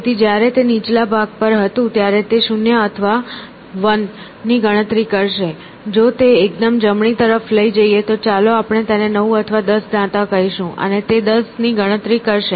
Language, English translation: Gujarati, So, when it was on the lower part it would count 0 or 1, if it was raised to the extreme right then it would be struck by let us say 9 or 10 teeth and it would count of 10